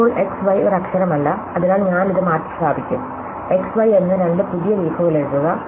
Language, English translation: Malayalam, Now, x y is not a letter, so what I do is, I will replace this, write new two leaves called x and y